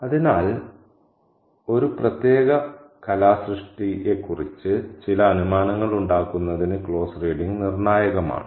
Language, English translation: Malayalam, So, closed reading is crucial for us to make certain assumptions about a particular work of art